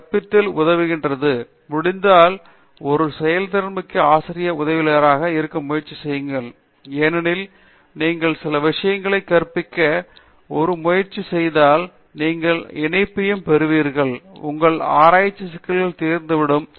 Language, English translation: Tamil, You know, teaching helps so, be a very trying be a proactive teaching assistant if possible, because when you try to teach certain things you will get the connect and your some of your research problems get do gets solved